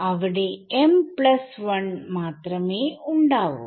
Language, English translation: Malayalam, There will only be a m plus 1